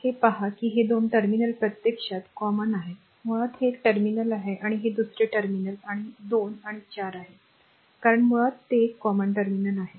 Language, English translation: Marathi, Look into that these 2 terminals actually is common, basically this is one terminal and this is another terminal and 2 and 4 because basically it is a common terminal